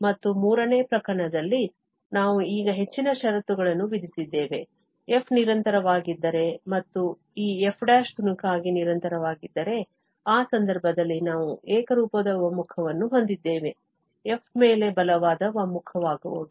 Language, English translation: Kannada, And in the third case, we have imposed more conditions now, that if f is continuous and this f prime is piecewise continuous then, in that case, we have the uniform convergence, the stronger convergence on f